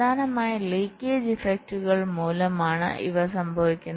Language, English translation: Malayalam, these occur mainly due to the leakage effects